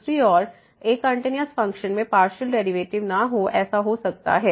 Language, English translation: Hindi, On the other hand, a continuous function may not have partial derivatives